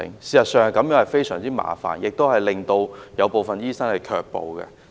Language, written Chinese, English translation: Cantonese, 事實上，這種做法非常麻煩，亦令部分醫生卻步。, This practice is indeed very troublesome and discourages some doctors from adopting this treatment option